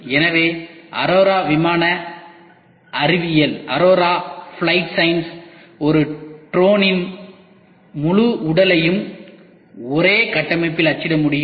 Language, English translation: Tamil, So, aurora flight science can print the entire body of a drone in one build